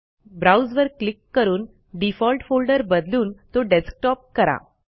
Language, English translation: Marathi, Click the Browse button and change the default folder to Desktop